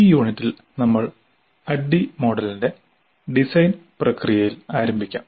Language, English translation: Malayalam, Now in this unit we will start with the design process of the ADI model